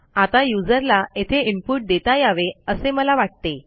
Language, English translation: Marathi, I want the user to be able to input this